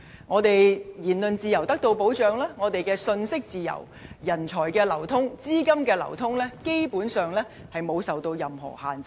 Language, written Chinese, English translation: Cantonese, 除了言論自由得到保障，我們亦享有信息自由，而人才、資金的流通，基本上沒有受到任何限制。, Besides freedom of speech we also enjoy freedom of information and there is basically no restriction on the flow of talent and capital